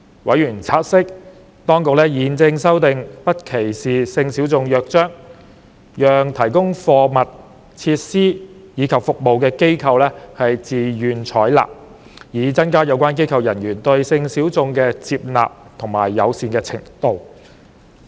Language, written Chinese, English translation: Cantonese, 委員察悉，當局現正制訂《不歧視性小眾約章》，讓提供貨品、設施及服務的機構自願採納，以增加有關機構人員對性小眾的接納和友善程度。, Members noted that the authorities were drawing up a charter on non - discrimination of sexual minorities for voluntary adoption by providers of goods facilities and services with a view to enhancing acceptance and friendliness towards sexual minorities among the personnel of the relevant organizations